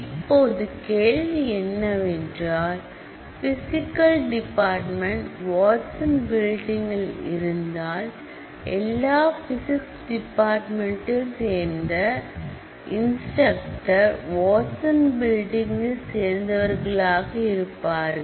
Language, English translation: Tamil, Now, the question is; so, Physics department, if it is housed in the Watson building then, all the instructors in this table, all the instructors who are part of the Physics department, would have their department housed in the Watson building